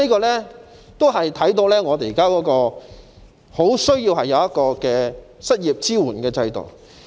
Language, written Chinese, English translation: Cantonese, 由此可見，我們十分需要一個失業支援制度。, It is thus evident that we strongly need an unemployment support system